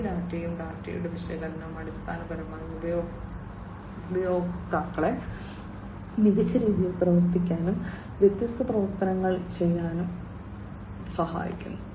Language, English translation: Malayalam, And these data and the analysis of the data basically help the users in acting, in acting and making different performing different actions, in a smarter way